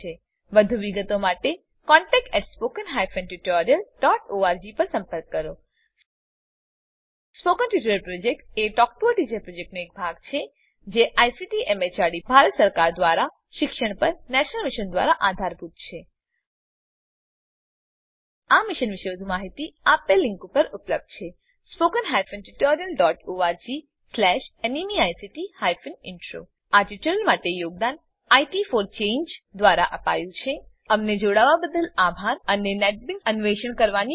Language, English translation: Gujarati, For more details write to contact@spoken tutorial.org Spoken Tutorial Project is a part of the Talk to a Teacher Project Supported by the National Mission on education through ICT, MHRD, Government of India More information on this mission is available at spoken tutorial.org/NMEICT Intro This tutorial has been contributed by IT for Change Thank you for joining us and Enjoy exploring Netbeans.